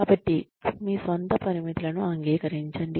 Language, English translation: Telugu, So, admit your own limitations